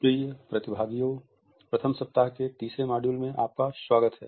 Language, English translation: Hindi, Dear participants, welcome to the third module of 1st week